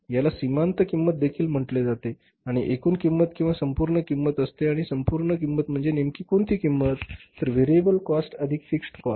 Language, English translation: Marathi, Variable cost plus the fixed cost or the full cost and full cost is including how much what cost variable cost plus the fixed cost so marginal cost means the variable cost